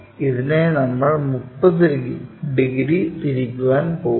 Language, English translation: Malayalam, This one we have to make it 30 degrees in that direction